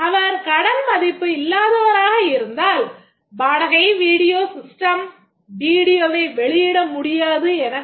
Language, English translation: Tamil, Otherwise if it is not credit worthy, the rent video will say that the video cannot be issued